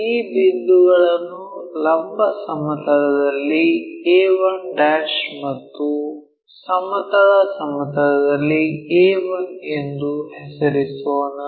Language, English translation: Kannada, Let us name these points as a 1' and this one a 1; vertical plane and horizontal plane